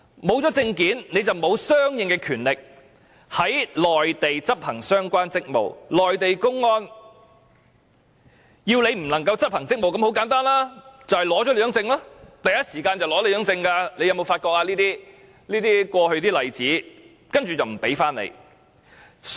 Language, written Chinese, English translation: Cantonese, 沒有證件，便沒有相應的權力在內地執行相關職務，內地公安要港方人員不能執行職務，很簡單，就是取去他們的證件，是第一時間取走他們的證件，大家有否從過去的例子發覺這種情況？, If a person does not have the document he will not have the power to perform the relevant duties in the Mainland . If Mainland public security officers do not want personnel of the Hong Kong authorities to perform their duties a simple way is to confiscate their documents so these officers will take away their documents in the first instance . Have Members noticed this situation from the examples in the past?